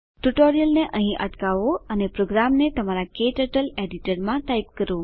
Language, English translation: Gujarati, Please pause the tutorial here and type the program into your KTurtle editor